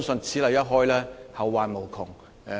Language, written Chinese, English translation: Cantonese, 此例一開，後患無窮。, Once this precedent is set it will lead to endless troubles